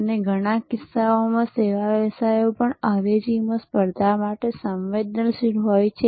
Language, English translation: Gujarati, And in many cases, service businesses are also prone to competition from substitutes